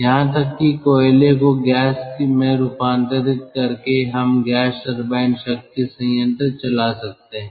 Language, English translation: Hindi, coal gasification is another possibility by which ah one can have gas turbine power plant